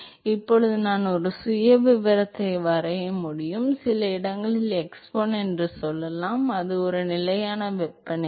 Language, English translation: Tamil, So, now, I can draw a profile, so let us say at some location x1, so that is a constant temperature